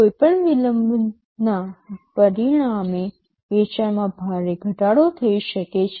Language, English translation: Gujarati, Any delay can result in a drastic reduction in sales